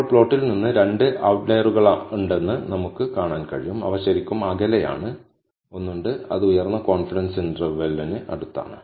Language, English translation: Malayalam, Now, from the plot, we can see that there are two outliers, which are really farther, there is one, which is close to the upper confidence limit